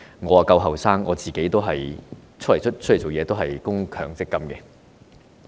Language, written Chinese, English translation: Cantonese, 我較年青，投身社會工作以來已供強積金。, As I am relatively young I have been making contributions to MPF since I started to work